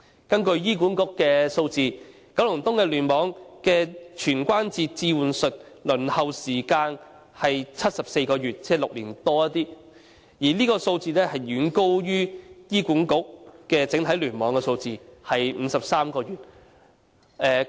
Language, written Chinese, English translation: Cantonese, 根據醫管局的數字，九龍東聯網的全關節置換手術的輪候時間是74個月，即超過6年，這數字遠高於醫管局整體聯網的數字，即53個月。, According to the figures of HA the waiting time for total joint replacement surgery in KEC is 74 months exceeding six years . This figure is far higher than the average of all the clusters in HA which is 53 months